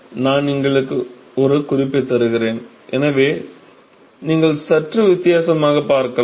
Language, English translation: Tamil, I will give you a hint, so you can look at in a slightly different way